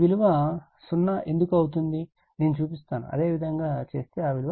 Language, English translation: Telugu, I will show why it is 0, if you do it, it will become 0